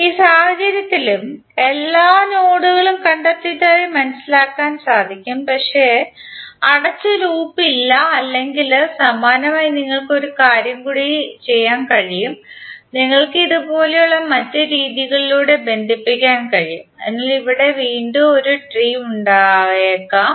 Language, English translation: Malayalam, In this case also you know that all the nodes have been traced but there is no closed loop or similarly you can do one more thing that you can connect through some other fashion like this, this and that, that again a tree, So there may be many possible different trees of a graph